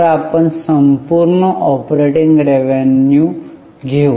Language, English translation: Marathi, So, let us take total operating revenue